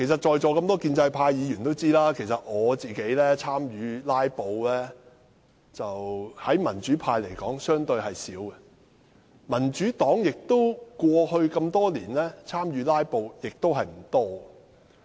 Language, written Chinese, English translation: Cantonese, 在座一眾建制派議員都知道，以民主派議員來說，我參與"拉布"的次數相對較少，民主黨多年來參與"拉布"的次數亦不多。, All pro - establishment Members present should know that comparatively speaking I am less active than other pro - democracy Members in filibustering . Over the years the Democratic Party has also been inactive in joining the filibusters